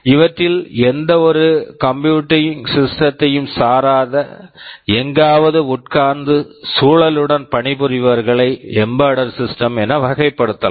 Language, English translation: Tamil, Any computing system that is not one of these, they are sitting somewhere and working with the environment, they can be classified as embedded systems